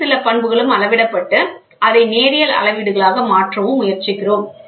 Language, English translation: Tamil, Some other property from there we try to convert it into linear scales